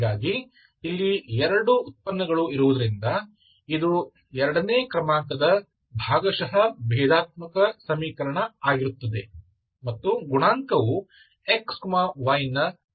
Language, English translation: Kannada, So this is that is why partial differential equation, second order because you have 2 derivatives, 2 partial derivatives and the coefficient is functions of xy